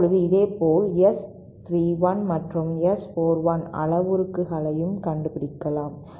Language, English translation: Tamil, Now, similarly proceedings similarly we can also find out the S 31 and S 41 parameters